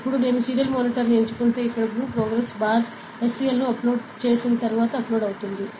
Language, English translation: Telugu, Now, if I select the serial monitor, after uploading here the blue progress bar SCL, it is just getting uploaded only ok, it is done uploading